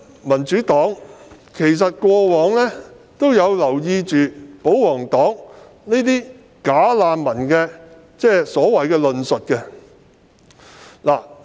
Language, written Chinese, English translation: Cantonese, 民主黨過往一直有留意保皇黨提出的所謂"假難民"的論述。, The Democratic Party has all along noted with concern the arguments presented by the royalists about the so - called bogus refugees